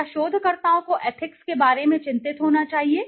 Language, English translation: Hindi, So, should researchers be concerned about ethics